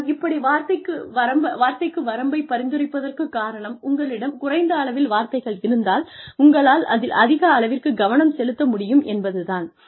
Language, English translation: Tamil, The reason, I am suggesting a word limit is that, you will be able to focus more, if you have a fewer number of words, available to you